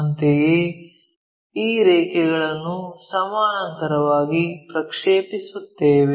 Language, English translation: Kannada, Similarly, project these lines all the way parallel